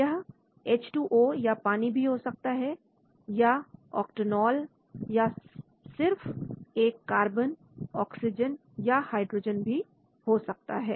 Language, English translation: Hindi, So it can be water, Octanol, it can be even carbon, simple oxygen, H